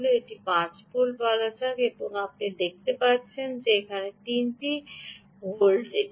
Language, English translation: Bengali, let us say this is five volts and what you are getting here is three volts